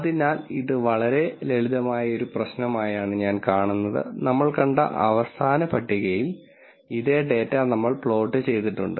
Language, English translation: Malayalam, So, just so let me see this it is a very simple problem we have plotted the same data that was shown in the last table